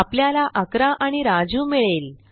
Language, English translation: Marathi, So, we get 11 and Raju